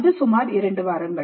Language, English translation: Tamil, This could be about four weeks